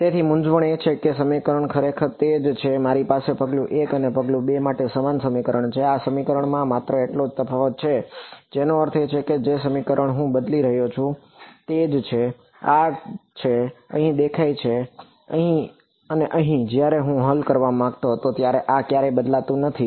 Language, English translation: Gujarati, So, the confusion is that the equation is actually the same I have the same equation for step 1 and step 2; the only difference in these equation I mean the equation is the same what I am changing is r, r is appearing here, here and here this never changes when I wanted to solve for E r prime I need it